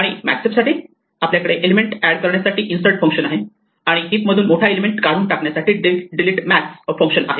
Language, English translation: Marathi, And for a max heap for instance, we have the functions insert to add an element and delete max which removes the largest element from the heap